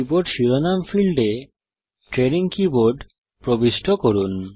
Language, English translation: Bengali, In the Keyboard Title field, enter Training Keyboard